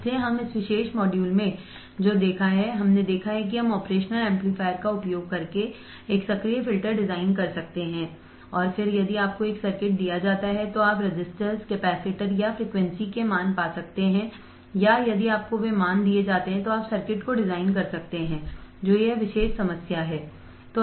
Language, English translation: Hindi, So, what we have seen in this particular module, we have seen that we can design an active filter using the operational amplifier and then if you are given a circuit then you can find the values of the resistors, capacitors or frequency and or if you are given the values you can design the circuit which is this particular problem which is the problem in front of you